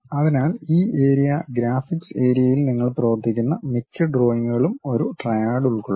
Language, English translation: Malayalam, So, most of the drawings what you work on this area graphics area what we call will consist of triad